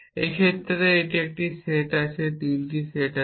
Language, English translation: Bengali, In this case it is a set of there are 3 sets